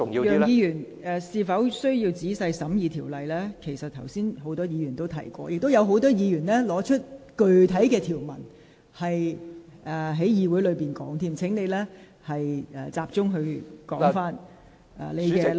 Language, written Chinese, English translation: Cantonese, 楊議員，就是否需要仔細審議條文這論點，剛才已有多位議員提及，亦有多位議員在會議上提及具體條文，所以請你集中談論你的論點。, Mr YEUNG regarding the argument on the need to make a detailed examination of the Bill many Members have mentioned it earlier whereas a number of Members have also mentioned the specific provisions at the meeting so please focus on your arguments